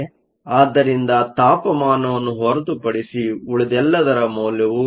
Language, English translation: Kannada, So, everything else is known except for the temperature